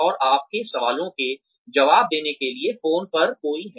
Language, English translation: Hindi, And, there is somebody on the phone, to answer your questions